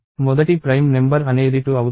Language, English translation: Telugu, So, the first prime number is 2